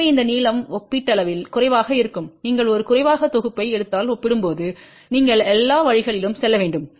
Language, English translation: Tamil, So, this length will be relatively shorter compared to if you take a short set get stub then you will have to move all the way around